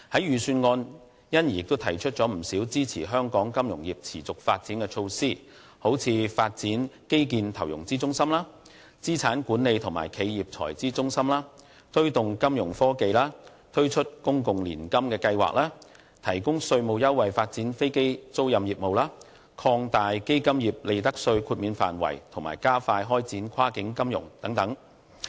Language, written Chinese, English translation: Cantonese, 預算案因而提出了不少支持香港金融業持續發展的措施，例如發展基建投融資中心、資產管理和企業財資中心、推動金融科技、推出公共年金計劃、提供稅務優惠發展飛機租賃業務、擴大基金業利得稅豁免範圍和加快開展跨境金融等。, In response the Government has put forth many measures in the Budget to support the sustainable development of Hong Kongs financial services industry such as developing an infrastructure investment and financing centre and an asset management and corporate treasury centre; promoting Fintech launching a public annuity scheme; providing tax concession for developing aircraft financing business; expanding profits tax exemption to fund industries; and expediting the development of cross - border financing